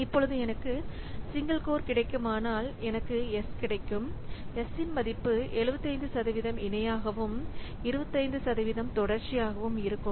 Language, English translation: Tamil, Now, if I have got a single core, then I have got so s equal to 75% is parallel, 25% is parallel